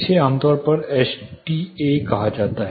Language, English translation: Hindi, This is commonly termed as S T A